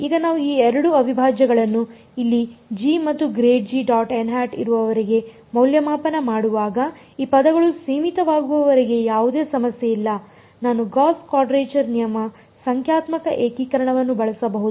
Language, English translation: Kannada, Now, when we are evaluating these two integrals over here as long as g and grad g dot n hat as long as these terms are finite there is no problem I can use gauss quadrature rule numerical integration